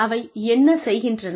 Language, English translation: Tamil, How much they can do